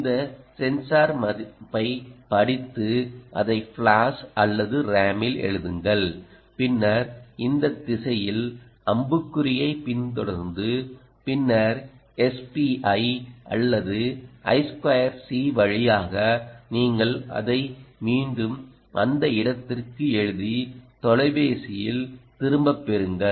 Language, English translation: Tamil, you read this sensor value in this direction, write it into either flash or ram and then follow this arrow and then, either over s p, i or i two c, you write it back into this location and get it back to the phone